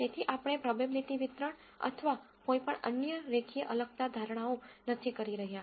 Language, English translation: Gujarati, So, we are not going to assume probability distribution or any other linear separability assumptions and so on